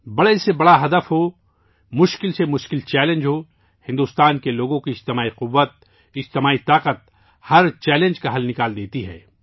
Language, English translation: Urdu, Be it the loftiest goal, be it the toughest challenge, the collective might of the people of India, the collective power, provides a solution to every challenge